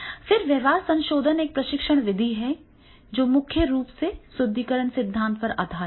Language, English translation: Hindi, Then the behavior modification is a training method that is primarily based on the reinforcement theory